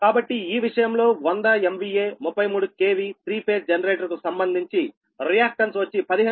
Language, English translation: Telugu, so in this case, a hundred m v, a thirty three k v, three phase generator has a reactance of fifteen percentage